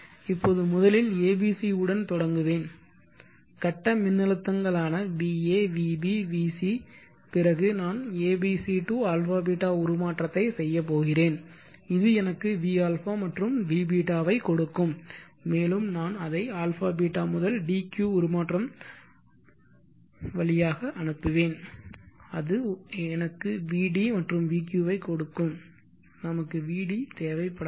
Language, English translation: Tamil, Consider the phase voltages va vb vc I will pass it through a b c to a beeta transformation I will get v a v beeta, and I will pass that to a beeta to deuce transformation and I will get vd vq, now there is